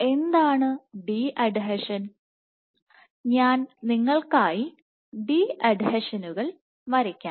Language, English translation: Malayalam, So, what is de adhesion I will draw de adhesions for you